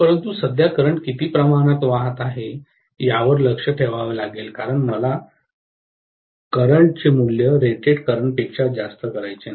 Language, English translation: Marathi, But, I have to keep an eye on how much is the current that is flowing because I do not want to exceed whatever is the rated current value